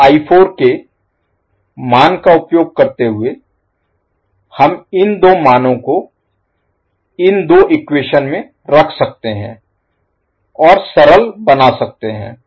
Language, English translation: Hindi, So using I 2 value and the value of I 4, we can put these 2 values in these 2 equations and simplify